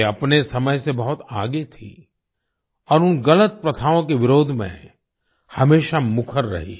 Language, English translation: Hindi, She was far ahead of her time and always remained vocal in opposing wrong practices